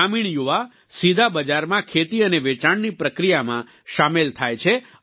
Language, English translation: Gujarati, The rural youth are directly involved in the process of farming and selling to this market